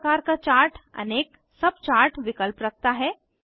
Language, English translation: Hindi, Each type of Chart has various subchart options